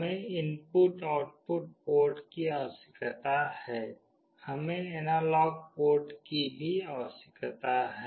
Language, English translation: Hindi, We need input output ports; we also need analog ports